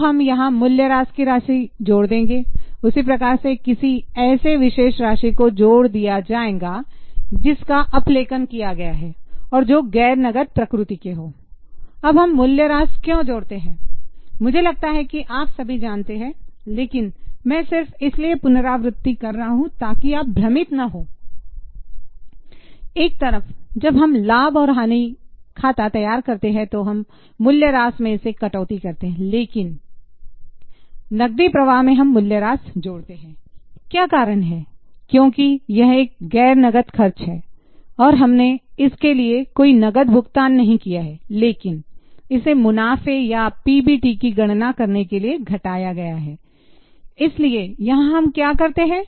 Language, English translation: Hindi, We will add depreciation, we will add any particular amounts which are written of, which are non cash in nature now why do we add depreciation I think you all know but I'm just revising because here is where many get confused on one hand when we prepare P&L account we deduct depreciation but in cash flow we add depreciation what is the reason because it is a non cash expense and we have not paid any cash for the same but it has been deducted for calculating profits or pb t so here what we do is we take pbt we add depreciation we also make adjustment for non operating items